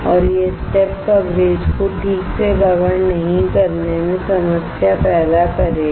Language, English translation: Hindi, And that will cause a problem in not covering the step coverage properly